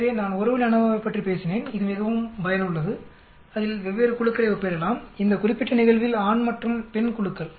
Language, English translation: Tamil, So I talked about one way ANOVA which is very useful quite powerful we can compare as different groups in this particular case the groups were male and female